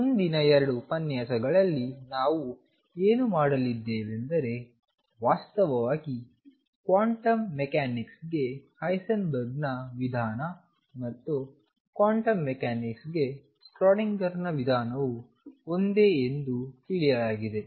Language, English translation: Kannada, What we are going to do in the next 2 lectures is learned that actually Heisenberg’s approach to quantum mechanics and Schrodinger’s approach to quantum mechanics are one and the same thing